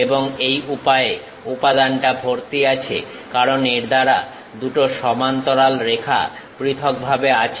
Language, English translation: Bengali, And material is filled in this way, because two parallel lines separated by this